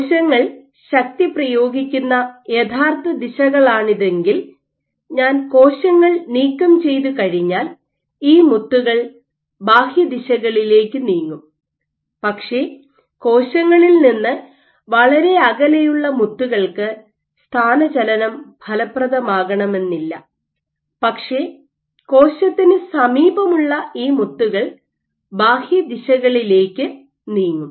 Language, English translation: Malayalam, So, if these were the original directions in which the cell was exerting forces, once I remove the cells these beads would move in the outward directions, but the beads which are far from the cell